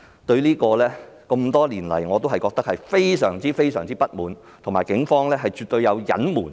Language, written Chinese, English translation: Cantonese, 多年來，我對此感到非常不滿，警方絕對有作出隱瞞。, I have been very dissatisfied with this situation for years and I think the Police definitely have something to conceal